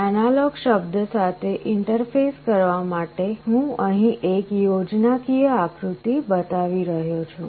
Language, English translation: Gujarati, To interface with the analog word, I am showing a schematic diagram here